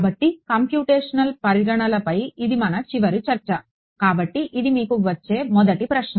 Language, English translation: Telugu, So, our final discussion on the Computational Considerations; so, this is the first question that will come to you right